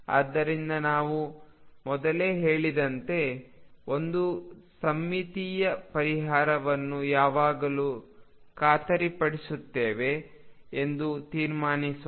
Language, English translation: Kannada, So, let us conclude one symmetric solution is always guaranteed as we commented earlier